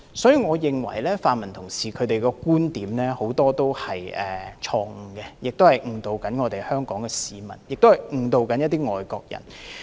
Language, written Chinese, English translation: Cantonese, 所以，我認為泛民同事的論點很多都是錯誤，誤導香港市民和外國人。, Thus I think many arguments of the pan - democrats are fallacious and they may mislead Hong Kong people and foreigners